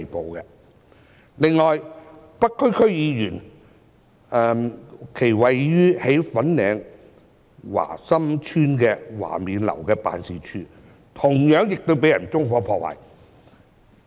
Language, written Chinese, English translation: Cantonese, 此外，一位北區區議員位於粉嶺華心邨華勉樓的辦事處，同樣亦被人縱火破壞。, Besides the office of a North DC member located in Wah Min House of Wah Sam Estate in Fanling was also set on fire